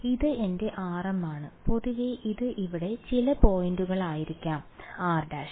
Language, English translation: Malayalam, So, this is my r m and in general this could be some point over here which is r prime ok